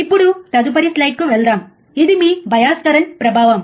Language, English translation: Telugu, Now, let us go to the next one next slide, which is your effect of bias current